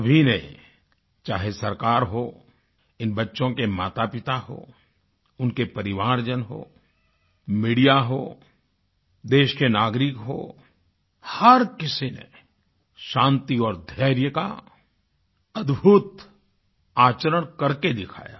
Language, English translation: Hindi, The government, their parents, family members, media, citizens of that country, each one of them displayed an aweinspiring sense of peace and patience